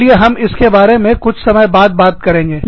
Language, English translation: Hindi, Let us talk about this, sometime later